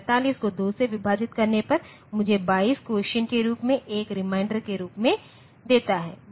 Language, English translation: Hindi, 45 divided by 2 gives me 22 as the quotient, 1 as reminder